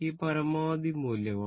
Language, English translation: Malayalam, 8 this is the maximum value